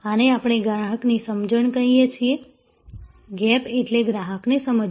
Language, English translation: Gujarati, This is what we call understanding the customer, the gap is understanding the customer